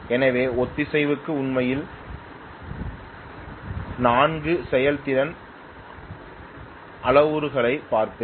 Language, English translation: Tamil, So for synchronization actually I will look at majorly 4 performance or 4 performance parameters